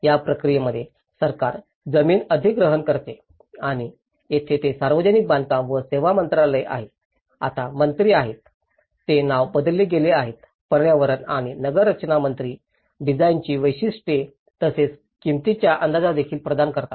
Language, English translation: Marathi, In this process, the government acquires land and here it is Ministry of Public Works and Services also, the minister now, it has been renamed; Minister of Environment and Urban Planning also provides design specifications and also the cost estimations